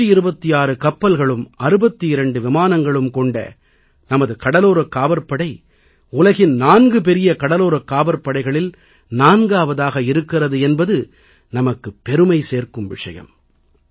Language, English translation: Tamil, It is a matter of pride and honour that with its indigenously built 126 ships and 62 aircrafts, it has carved a coveted place for itself amongst the 4 biggest Coast Guards of the world